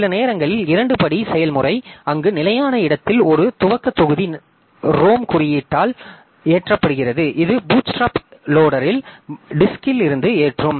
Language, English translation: Tamil, Sometimes two step process where a boot block at fixed location loaded by ROM code which loads the bootstrap loader from disk